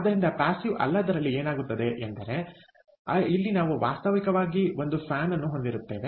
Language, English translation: Kannada, so in a non passive, what happens is we have a fan, actually